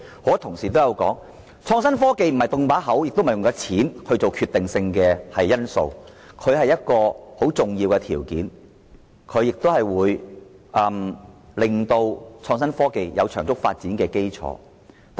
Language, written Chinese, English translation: Cantonese, 很多同事都指出，作出承諾和金錢並非創新科技的決定性因素，它只是一些重要條件，為創新科技打好得以長足發展的基礎。, It was pointed out by many Honourable colleagues that making commitments and injecting money were not the decisive factors insofar as innovation and technology were concerned . Actually there were merely conditions crucial to forming a solid basis for the rapid development of innovation and technology